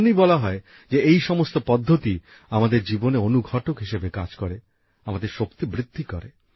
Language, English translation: Bengali, that is why it is said that all these forms act as a catalyst in our lives, act to enhance our energy